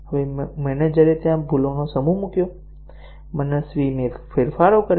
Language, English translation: Gujarati, And, now the manager seeded a set of bugs there; made arbitrary changes